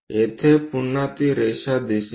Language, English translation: Marathi, Here again, one will see that line